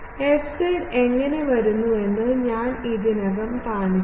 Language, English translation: Malayalam, This I have already shown that how a fz comes